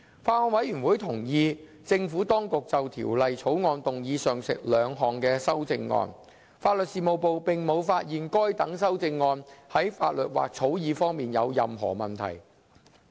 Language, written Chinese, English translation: Cantonese, 法案委員會同意政府當局就《條例草案》動議上述兩項修正案，法律事務部並無發現該等修正案在法律或草擬方面有任何問題。, The Bills Committee approved of the two proposed CSAs to be moved by the Administration . LSD advised that no difficulties had been identified in relation to the legal and drafting aspects of the proposed CSAs